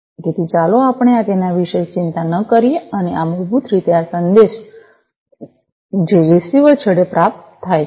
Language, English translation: Gujarati, And so let us not worry about it and this is basically this message that is received at the receiver end